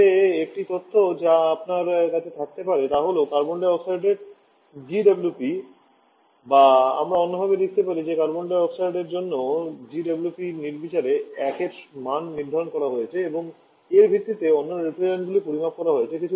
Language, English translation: Bengali, But one information that you can have that the GWP of carbon dioxide or, I should write the other way the GWP for Carbon dioxide has been arbitrary set to value of 1